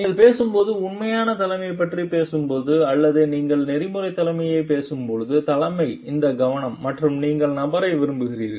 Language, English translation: Tamil, When you are talking of authentic leadership when you are talking or leadership when you are talking of ethical leadership these focuses and you as the person